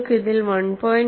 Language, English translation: Malayalam, You have a factor, 1